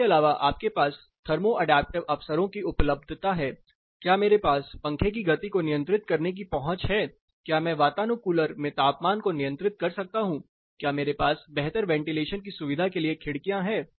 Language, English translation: Hindi, Apart from this you have the availability of thermo adaptive opportunities, Whether I have access to controlling the fan speed, whether I have access to controlling the air conditioning set point temperature, whether I have oper able widows which will facilitate better ventilation